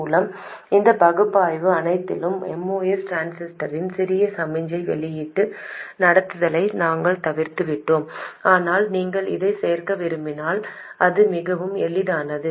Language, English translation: Tamil, By the way, in all of this analysis we have omitted the small signal output conductance of the MOS transistor but if you do want to include it it is very easy